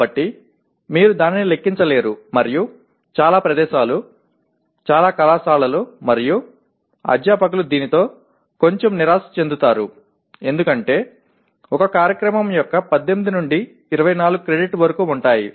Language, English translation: Telugu, So you cannot count that and many places, many colleges and faculty feel a little disappointed with this because electives do constitute anywhere from 18 to 24 credits of a program